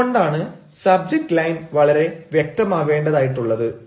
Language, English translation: Malayalam, that is why the subject line has to be very clear